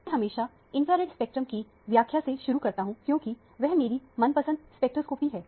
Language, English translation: Hindi, I always start with the interpretation of infrared spectrum, because it is my favorite spectroscopy